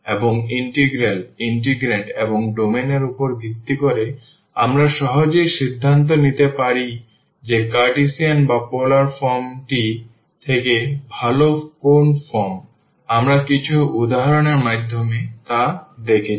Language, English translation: Bengali, And that based on the integral integrants and also the domain, we can easily decide that which form is better whether the Cartesian or the polar form we have seen through some examples